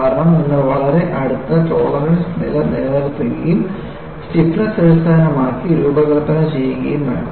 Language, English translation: Malayalam, Because, you have to maintain close tolerance levels and usually designed based on stiffness